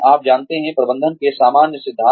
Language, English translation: Hindi, You know, the general principles of management